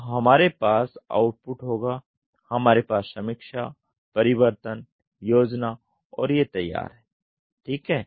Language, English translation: Hindi, So, we will have output we will have review, change, plan and sign off ok